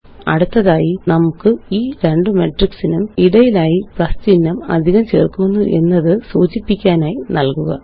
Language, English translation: Malayalam, Next, let us add a plus symbol in between these two matrices to denote addition